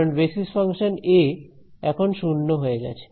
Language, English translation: Bengali, Because basis function a is 0 by now